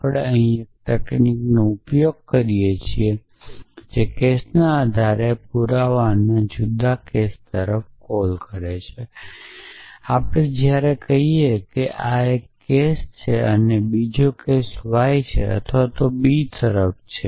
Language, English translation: Gujarati, We might use one technique which is call looking at different cases of proof by cases we could say take the case when x is a and y is b or look at b